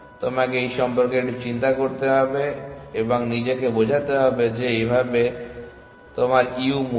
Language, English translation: Bengali, So, you have to think a little bit about this and convince yourself that this is how a u value